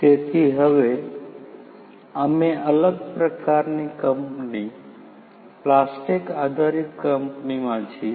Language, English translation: Gujarati, So, right now, we are in a different type of company a plastic based company